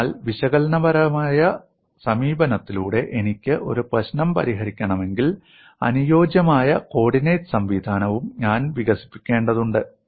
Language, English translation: Malayalam, So if I have to solve a problem by analytical approach, I need to develop suitable coordinate system as well